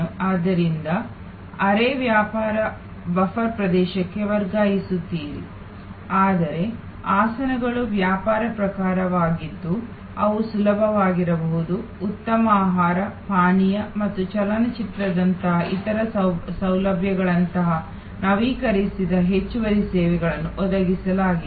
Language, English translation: Kannada, So, quasi business buffer area, but the seats are business type and they can be easily either provided with upgraded additional services like better food, beverage and other facilities like movie etc